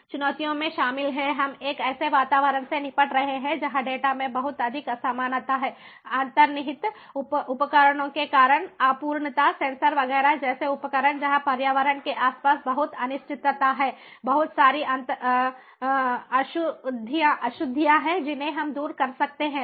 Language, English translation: Hindi, the challenges include: we are dealing with an environment where the data has lot of imperfection imperfection due to inherent devices, devices like sensors, etcetera, where there is lot of uncertainty around the environment